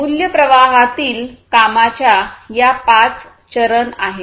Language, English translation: Marathi, These are the five steps of work in the value streams